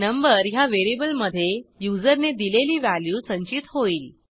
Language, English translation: Marathi, The variable number will store the value given by user